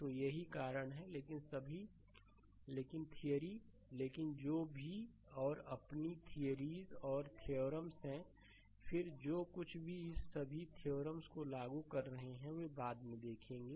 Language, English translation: Hindi, So, that is why, but all, but theory, but whatever theories and your theorems, then laws whatever you are applying all this theorems will see later right